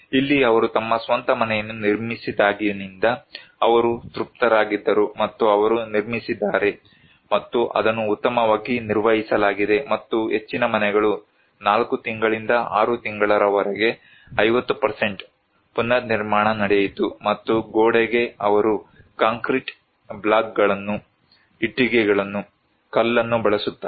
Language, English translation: Kannada, Here was it was since they built their own house, they were satisfied and they constructed and it is well maintained and most of the houses by 4 months to 6 months, a 50% reconstruction took place and for the wall, they use concrete blocks, bricks, stone